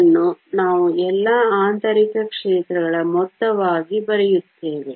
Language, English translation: Kannada, This we will write as sum of all the internal fields